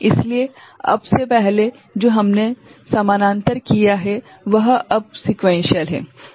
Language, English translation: Hindi, So, what was parallel before now we have made sequential